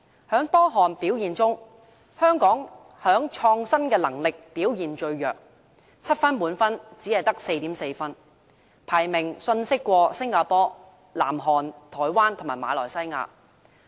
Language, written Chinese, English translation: Cantonese, 在多項表現中，香港在創新能力上表現最弱 ，7 分為滿分，香港只得 4.4 分，排名遜色於新加坡、南韓、台灣及馬來西亞。, Among the different pillars Hong Kong is rated the weakest in its innovation pillar scoring only 4.4 out of 7 and ranking lower than Singapore South Korea Taiwan and Malaysia in this regard